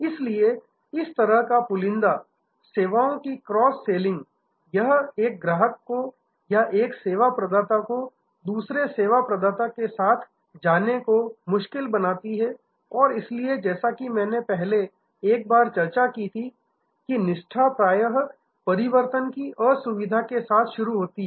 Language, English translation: Hindi, So, this kind of bundling, cross selling of services, it makes a switching from that customer that service provider to another service provider a difficult task and therefore, as I discussed once before that loyalty often starts with inconvenience of switching